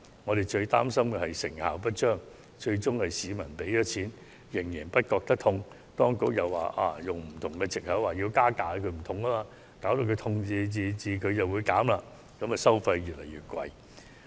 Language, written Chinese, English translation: Cantonese, 我們最感擔憂的是成效不彰，最終市民付出金錢卻仍感無關痛癢，當局又以此作為藉口實行加價，以致收費越來越高。, Our biggest anxiety is their ineffectiveness . In the end members of the public have to pay but do not consider it important . Yet the Government may use this as an excuse to increase charges resulting in a continuous increase in charges